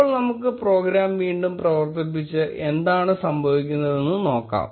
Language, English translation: Malayalam, Now let us run the program again and see what happens